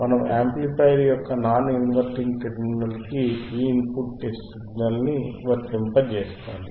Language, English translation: Telugu, We apply this input signal to the non inverting terminal of the amplifier